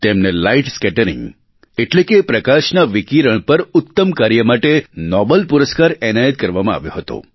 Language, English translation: Gujarati, He was awarded the Nobel Prize for his outstanding work on light scattering